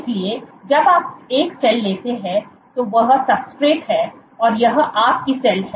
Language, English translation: Hindi, So, when you take a cell that this is the substrate and this is your cell